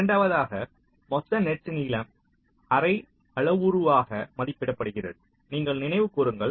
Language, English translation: Tamil, secondly, the total net length is estimated as the half parameter